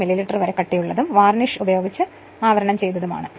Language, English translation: Malayalam, 5 millimetre thick and are insulated with varnish right